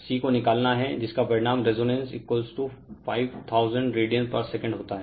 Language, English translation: Hindi, You have to find C, which results in a resonance omega 0 is equal to 5000 radian per second right